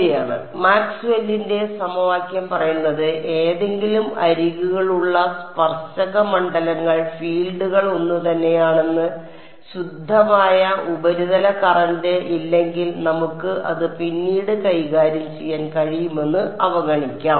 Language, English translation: Malayalam, Right so, we know Maxwell’s equation say that the fields the tangential fields that any boundary are the same unless there is some pure surface current let us ignore that for the we can deal with it later